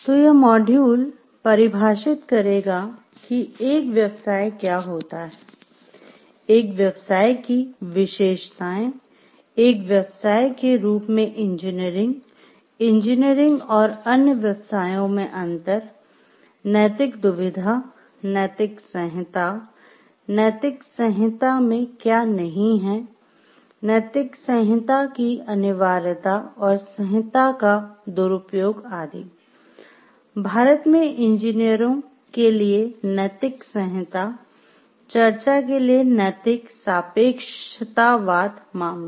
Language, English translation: Hindi, So, this module will define what is a profession, attributes of a profession engineering as a profession, difference in engineering and other professions, ethical dilemma, codes of ethics, what a code of ethics is not, essentials of a code of ethics, abuses of codes, ethical relativism, cases for discussion and code of ethics for engineers in India